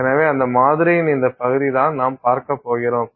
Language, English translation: Tamil, So, this region of that sample is what we are going to see